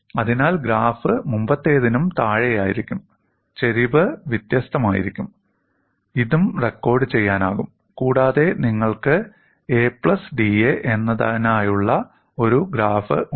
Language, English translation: Malayalam, So, the graph will be below the earlier one, the slope will be different, and this also can be recorded, and you have a graph which is for a plus d